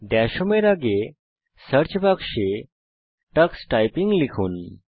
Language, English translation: Bengali, In the Search box, next to Dash Home, type Tux Typing